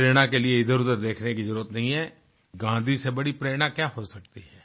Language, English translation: Hindi, And for inspiration, there's no need to look hither tither; what can be a greater inspiration than Gandhi